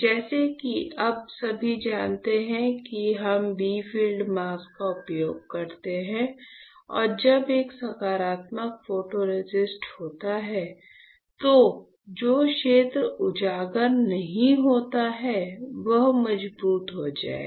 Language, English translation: Hindi, So, as you all know now that when we use bright field mask and when there is a positive photoresist the area which is not exposed will get stronger, the area that is not exposed will get stronger